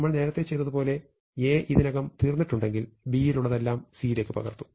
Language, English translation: Malayalam, So if there is a no element left in A, then I can just copy the rest of B into C